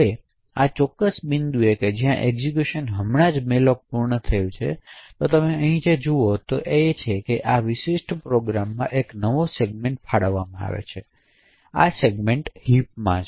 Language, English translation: Gujarati, Now at this particular point when the execution has just completed malloc, so what you see over here is that after this particular malloc a new segment gets allocated in the program, so this segment is the heap